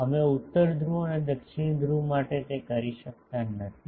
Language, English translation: Gujarati, We cannot do that for North Pole and South Pole